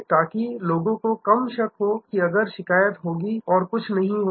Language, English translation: Hindi, So, that people have less doubt that if the complain and nothing will happen